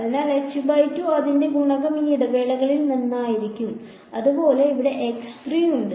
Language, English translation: Malayalam, So, its coefficient will be h by 2 from this interval; similarly there is a x 3 over here